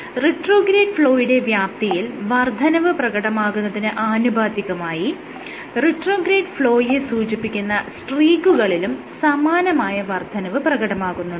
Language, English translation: Malayalam, They found again these streaks indicating retrograde flow to the magnitude of the retrograde flow increase significantly